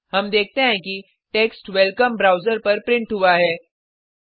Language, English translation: Hindi, We see the text welcome printed on the browser